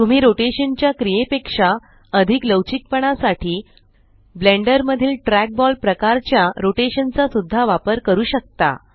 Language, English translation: Marathi, You can also use the trackball type of rotation in Blender for little more flexibility over the action of rotation